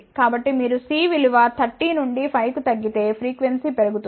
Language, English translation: Telugu, So, you can see that as C decreases from 30 to 5 frequency decreased